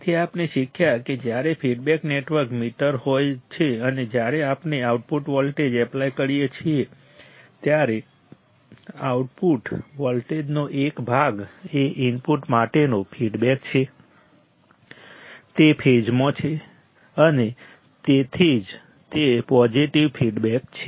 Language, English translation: Gujarati, So, what we have learned we have learned that when there is a feedback network meter and when we apply a output voltage, a part of output voltage is feedback to the input it is in phase and that is why it is a positive feedback